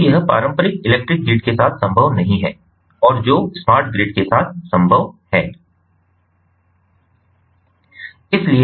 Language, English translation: Hindi, so that is not possible with the traditional electrical grid and which is possible with the smart grid